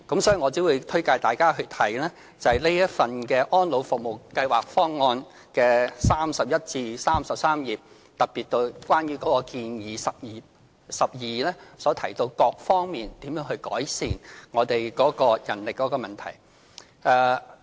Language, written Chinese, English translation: Cantonese, 所以，我只會推介大家去看這份《安老服務計劃方案》的第31至33頁，特別是第12項建議，當中提到各方面如何改善我們的人力問題。, Therefore I recommend Honourable Members to read pages 31 to 33 of the Elderly Services Programme Plan particularly the 12 recommendation as it mentions how the manpower problem can be ameliorated on various fronts